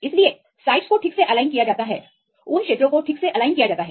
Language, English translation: Hindi, So, sites are properly aligned that regions are properly aligned